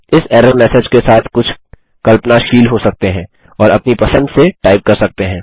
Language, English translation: Hindi, You can be a bit imaginative with these error messages and type what you like